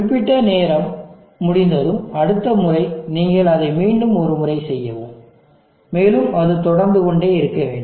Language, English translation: Tamil, And next again after certain time has elapsed, you will repeat it once again and so on it keeps continuing